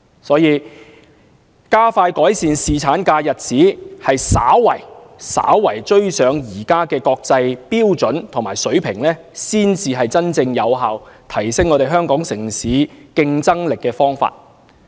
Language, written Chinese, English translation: Cantonese, 所以，加快改善侍產假日子，稍為追上現時的國際標準和水平，才是真正有效提升香港城市競爭力的方法。, So expediting the improvement of paternity leave entitlement to slightly catch up with the existing international standard and level is a truly effective way to enhance the competitiveness of Hong Kong